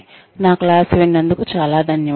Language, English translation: Telugu, Thank you very much for listening to me